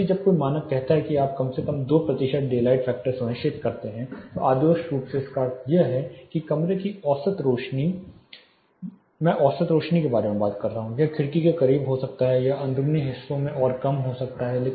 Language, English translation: Hindi, So, when a standard says you ensure at least 2 percent daylight factor, it is ideally meaning that average illuminance in your room, average illuminance I am talking about, it can be more close to the window it can be further less in the interiors, but overall the average daylight available inside the room should be 160 lux